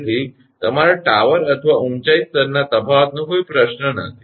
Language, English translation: Gujarati, So, no question of difference of your tower or height level right